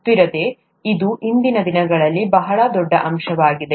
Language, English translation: Kannada, Sustainability, it's a very big aspect nowadays